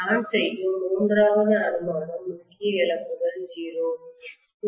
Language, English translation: Tamil, The third assumption I am making is the core losses are 0